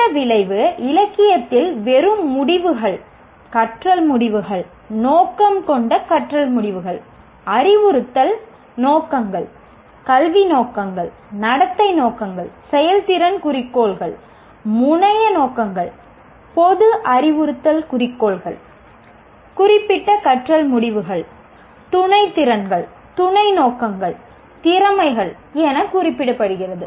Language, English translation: Tamil, This outcome are referred in the literature as merely outcomes, learning outcomes, intended learning outcomes, instructional objectives, educational objectives, behavioral objectives, performance objectives, terminal objectives, general instructional objectives, specific learning outcomes, subordinate skills, subordinate objectives, competencies